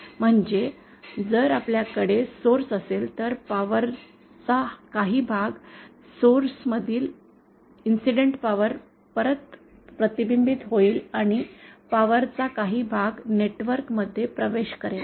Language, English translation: Marathi, if we have a source then some part of the power, incident power from the source will be reflected back and some part of the power will enter the network, this network